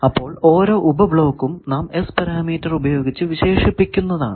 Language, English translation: Malayalam, So, each sub block we characterise by S parameters